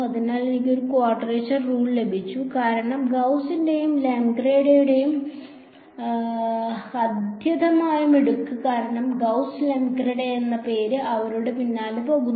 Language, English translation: Malayalam, So, I have got a quadrature rule because, of the extreme cleverness of both Gauss and Lengedre the name of Gauss Lengedre goes after them